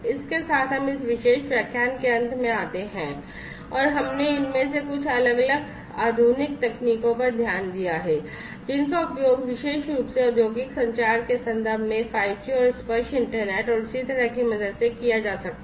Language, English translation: Hindi, With this we come to an end of this particular lecture and we have looked at some of these different modern technologies that could be used in the context of industrial communication particularly with the help of 5G and tactile internet and so on